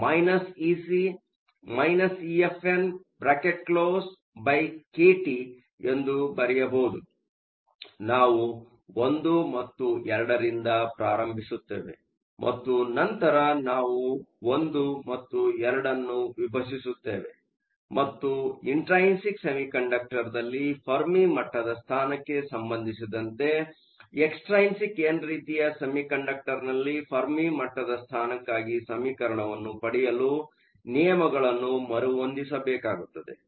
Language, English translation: Kannada, So, we start with 1 and 2, and then we divide 1 and 2, and rearrange the terms to get the expression for the Fermi level position in an extrinsic n type semiconductor with respect to the Fermi level position in an intrinsic semiconductor